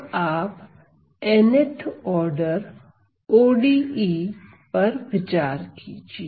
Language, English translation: Hindi, So, consider the n th order ODE